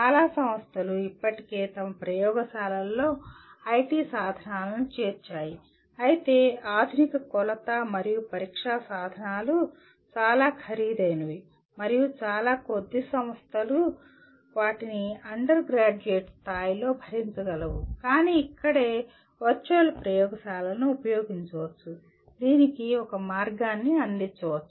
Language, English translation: Telugu, And many institutions have already incorporated IT tools into their laboratories but modern measurement and testing tools are very expensive and very few institutions can afford them at undergraduate level but one can this is where one can use the virtual laboratories, can provide an avenue for this